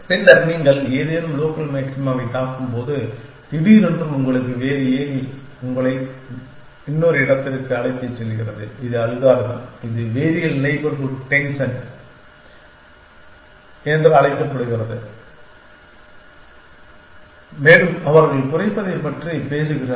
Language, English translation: Tamil, Then, when you gets struck on some local maxima suddenly you have different ladder take you two another this is the algorithm its call variable neighborhood descent well they are talking about minimizing